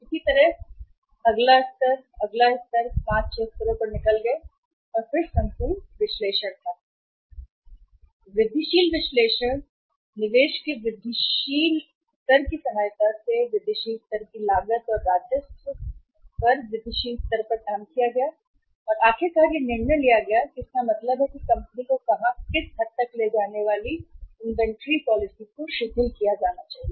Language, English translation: Hindi, Similarly, the next, next, next level they went out to 5, 6 levels and then the entire analysis was made and then with the help of incremental analysis, incremental level of investment, incremental level of cost, and incremental level of revenue was worked out and finally the decision was taken or means is is about to be taken by the company that where or to what extent the inventory policy should be loosened